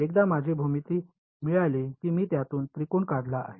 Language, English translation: Marathi, Once I have got my geometry, I have made triangles out of it